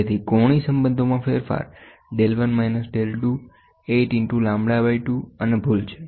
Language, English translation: Gujarati, So, the change in angular relationship is del 1 minus del 2, 8 into lambda by 2 and the error